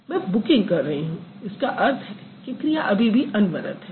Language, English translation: Hindi, So, I am booking means the action is yet to come to an end